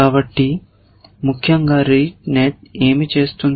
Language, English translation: Telugu, So, essentially what the rete net does